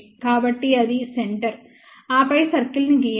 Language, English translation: Telugu, So, that is the centre, then draw the circle